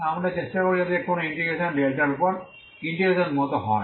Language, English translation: Bengali, So we will try to so any integration goes like this integration over delta is as an itinerary integral is this